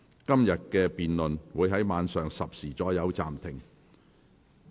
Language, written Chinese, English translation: Cantonese, 今天的辯論會在晚上10時左右暫停。, Todays debate will be suspended at about 10col00 pm